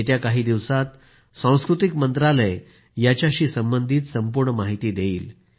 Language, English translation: Marathi, In the coming days, the Ministry of Culture will provide all the information related to these events